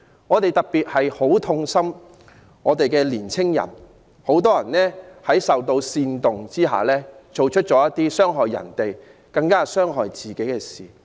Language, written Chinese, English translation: Cantonese, 我們特別痛心時下的青年人，他們很多人受到煽動而做出傷害別人及更加傷害自己的事。, We particularly feel sorry for teenagers nowadays many of whom had been instigated to do something which harmed others and ended up harming themselves even more